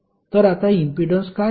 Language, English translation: Marathi, So, what is the impedance now